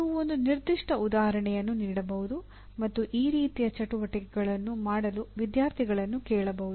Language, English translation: Kannada, You can give a particular example and ask them, ask the students to do an exercise of this nature